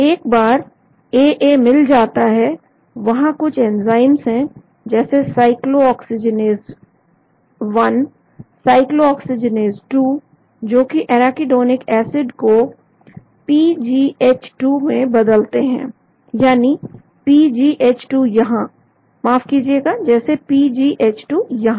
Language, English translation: Hindi, once AA is found there are some enzymes like cyclooxygenase 1, cyclooxygenase 2 which convert the arachidonic acid into PGH2 that is PGH2 here, sorry, as PGH2 here